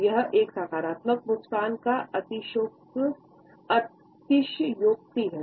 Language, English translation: Hindi, So, it is an exaggeration of a positive smile